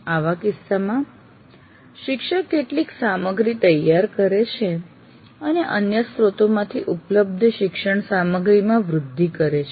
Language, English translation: Gujarati, In such case, the teacher prepares some material and supplements the learning material available from the other sources